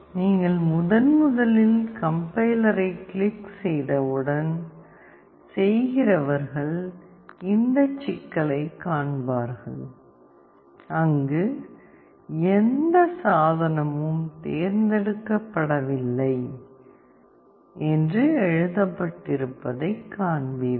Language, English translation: Tamil, Once you click on Complier for the first time, those who are doing will come across this problem where you will see that it is written No Device Selected